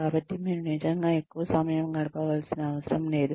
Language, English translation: Telugu, So, you do not really need to spend too much time